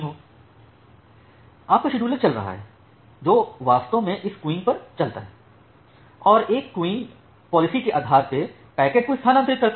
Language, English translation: Hindi, Then your scheduler is running, which actually runs on this queues and transfer the packets based on one of the queuing policies